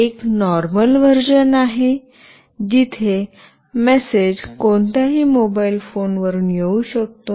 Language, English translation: Marathi, One is a normal version, where the message can come from any mobile phone